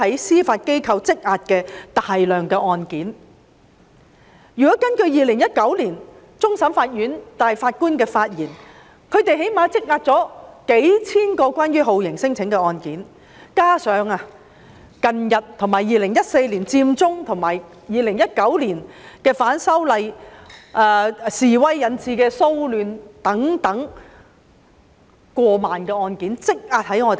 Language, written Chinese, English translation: Cantonese, 如果根據終審法院大法官在2019年的發言，法院最低限度積壓了數千宗有關酷刑聲請的案件，加上2014年佔中運動及2019年反修例示威引致的騷亂等，法院積壓的案件更多達過萬宗。, According to the speech by the Chief Justice in 2019 the court has at least accumulated thousands of cases stemming from torture claims together with the cases stemming from the Occupy Central movement in 2014 and the civil disturbances arising from the opposition to the proposed legislative amendments in 2019 . The court has accumulated more than 10 000 cases